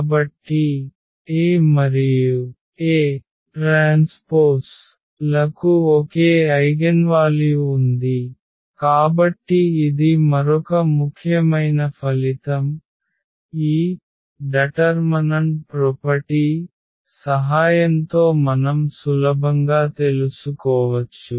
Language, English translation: Telugu, So, A and A transpose have same eigenvalue, so that is another important result which easily we can find out with the help of this determinant property